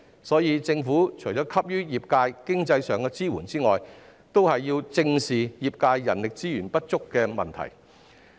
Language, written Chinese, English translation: Cantonese, 所以，政府除了給予業界經濟上的支援外，亦需要正視業界人力資源不足的問題。, Ferry operators generally face a succession problem . For this reason apart from giving financial support to the trade the Government needs to squarely address the lack of human resources in the trade